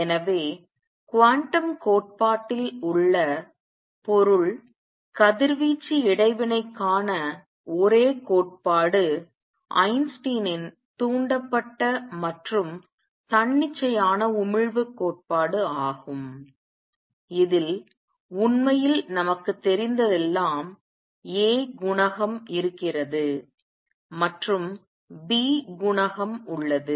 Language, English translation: Tamil, So, the only theory of matter radiation interaction in quantum theory is Einstein’s theory of stimulated and spontaneous emission in this really all we know is there exists a coefficient a there exists a coefficient b